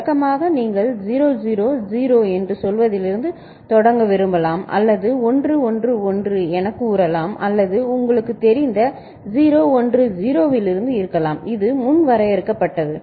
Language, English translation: Tamil, Usually you may want to start it from say 0 0 0 or say 1 1 1 whatever it is or it could be from 0 1 0 something which you know, is predefined ok